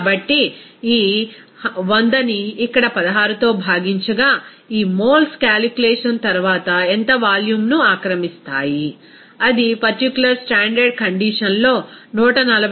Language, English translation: Telugu, So, out of this 100 divided by here 16 will come these moles will occupy how much volume that will be after calculation, it will be coming as simply that 140